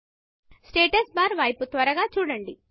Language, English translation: Telugu, Look at the Status bar quickly